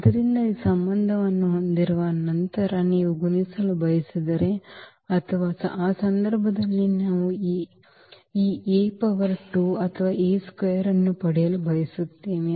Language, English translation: Kannada, So, having this relation then if you want to multiply or we want to get this A power 2 or A square in that case